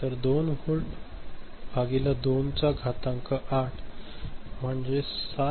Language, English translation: Marathi, So, 2 volt by 2 to the power 8, so 7